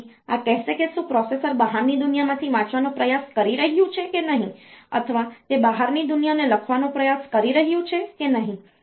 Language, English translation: Gujarati, So, this will tell whether the processor is trying to read from the outside world or it is trying to write to the outside world